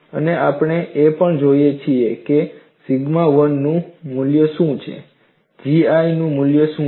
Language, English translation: Gujarati, And we also look at what is the value of sigma 1 what is the value of G 1, and the graph is like this